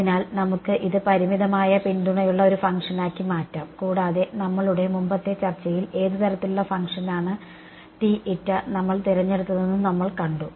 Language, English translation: Malayalam, So, let us make it into a function with finite support right and we have seen what kind of function did we choose for the T m in our earlier discussion